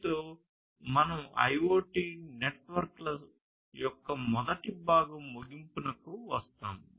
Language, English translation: Telugu, So, with this we come to an end of the first part of IoT networks